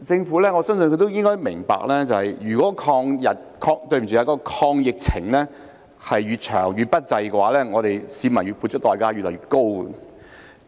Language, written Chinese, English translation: Cantonese, 我相信政府也應該明白，如果抗疫越長越不濟，市民要付出的代價也越來越高。, I believe the Government should also understand that the longer the fight against the pandemic the less desirable it is and the higher the costs to be paid by members of the public